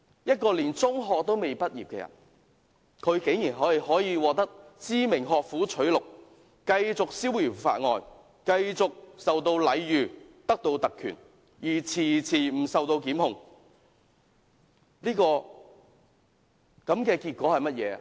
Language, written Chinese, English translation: Cantonese, 一個連中學也未畢業的人，竟然可以獲得知名學府取錄，繼續逍遙法外，繼續受到禮遇，有特權而遲遲不受檢控。, A person not yet graduated from secondary school is given admission offers from famous universities continue to be free from punishment and enjoy differential treatment and the privilege of not facing prosecution even now